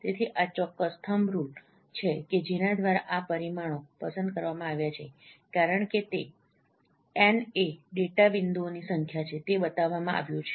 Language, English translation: Gujarati, So these are certain thumb rules by which these parameters are selected as it is shown the n is number of data points